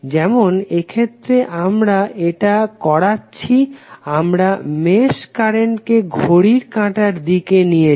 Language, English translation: Bengali, Like in this case we have done the, we have taken the direction of the mesh currents as clockwise